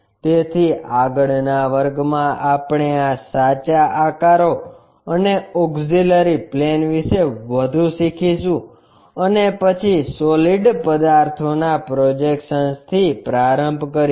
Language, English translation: Gujarati, So, in the next class, we will learn more about these true shapes and auxiliary planes and then, begin with projection of solids